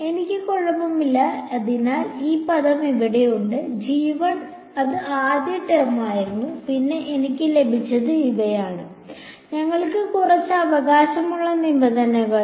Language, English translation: Malayalam, So, I had alright so this term over here so, g 1 that was the first term and then I had a these were the terms that we had some right